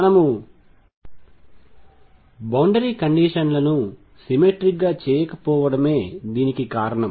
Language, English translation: Telugu, This is because we have not made the boundary conditions symmetric